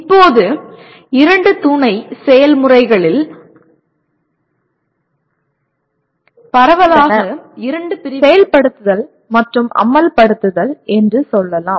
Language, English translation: Tamil, And now there are broadly two categories of two sub processes you can say execute and implement